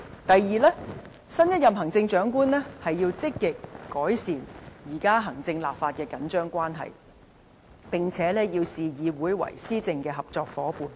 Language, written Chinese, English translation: Cantonese, 第二，新一任行政長官應積極改善現時行政立法的緊張關係，並視議會為施政的合作夥伴。, Second the next Chief Executive should proactively improve the strained relationship between the executive and the legislature at present and regard the legislature as a partner in policy implementation